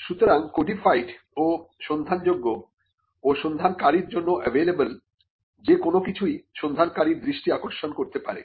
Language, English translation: Bengali, So, anything that is codified and searchable, and available to the searcher may catch the attention of the searcher